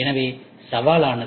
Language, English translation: Tamil, So, these are the challenges